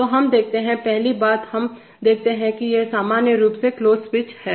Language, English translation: Hindi, So we see, first thing we see that these are normally closed switches